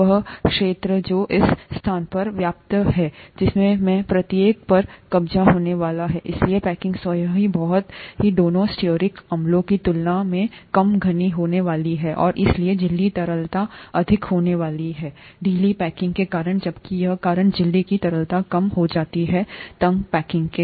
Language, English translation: Hindi, The area that is the space that is occupied by each of this is going to be higher, therefore the packing itself is going to be much less dense than the one with both stearic acids, and therefore the ‘membrane fluidity’ is going to be high due to the loose packing, whereas here the membrane fluidity is going to be low due to the tight packing